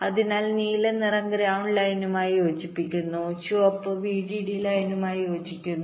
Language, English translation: Malayalam, so the blue one correspond to the ground line and the red one correspond to the vdd line